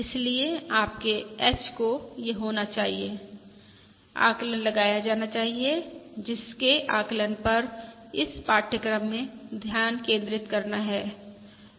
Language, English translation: Hindi, Therefore, your H has to be, this has to be estimated, which is the central focus of this course on estimation